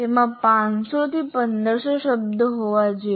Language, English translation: Gujarati, And it should include 500 to 1,500 words